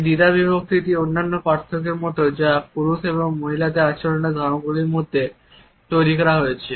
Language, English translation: Bengali, This dichotomy is similar to other distinctions which have been made between the behavior patterns of men and women